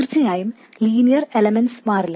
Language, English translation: Malayalam, And of course, linear elements